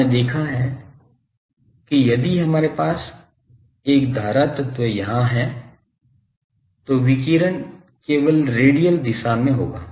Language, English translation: Hindi, You have seen that if we have a current element here, the radiation is taking place only in radial direction